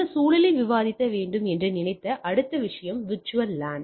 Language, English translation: Tamil, Next thing what we thought that will sit discuss in this context is the virtual LAN